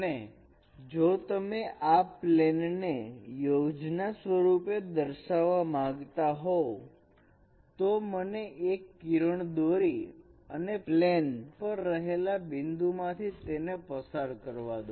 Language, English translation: Gujarati, And if you would like to project this parallel line on the canonical plane, let me draw these two rays passing through any points lying on this plane